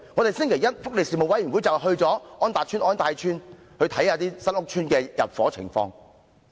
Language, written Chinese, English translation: Cantonese, 福利事務委員會星期一會前往安達邨和安泰邨，視察新屋邨入伙情況。, The Panel on Welfare Services will visit On Tat Estate and On Tai Estate on Monday to inspect the situation of residents moving into new housing estates